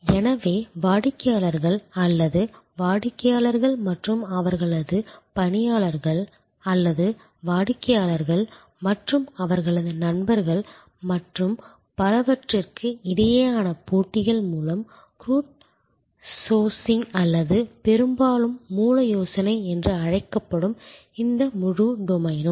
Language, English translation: Tamil, So, this whole domain which is called crowd sourcing or often idea of source through competitions among customers or even customers and their employees or customers and their friends and so on